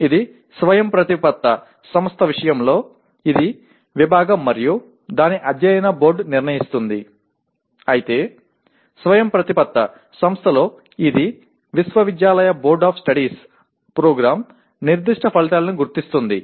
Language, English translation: Telugu, That is in the case of autonomous institution it is the department and its board of studies will decide whereas in non autonomous institution it is the Board of Studies of the university identify the Program Specific Outcomes